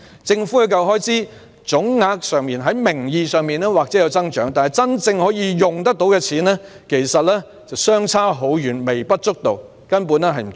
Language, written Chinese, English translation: Cantonese, 政府的教育開支總額在名義上或有所增長，但真正可用的錢其實微不足道，根本不足夠。, The total government expenditure on education may have nominally increased but the amounts that can actually be used are insignificant and basically insufficient